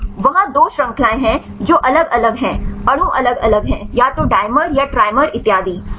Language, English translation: Hindi, Yeah there 2 chains which are different, the molecules are different rights either can the dimer or trimer and so on